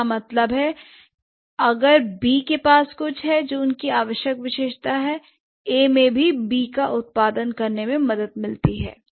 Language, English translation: Hindi, That means if B has something, what is that essential feature that A has which help to produce B